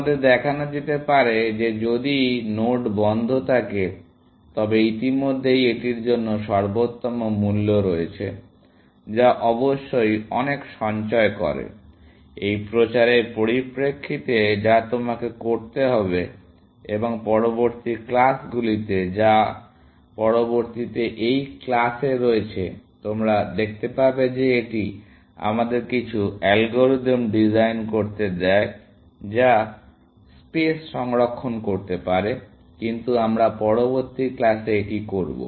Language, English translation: Bengali, You can be showed that if node is in closed, you already have the optimal cost to it, essentially, which of course saves a lot, in terms of a this propagation that you have to do, and in later classes, which is in next class, you will see that this allows us to design some algorithm, which can save on spaces, but that we will do in the next class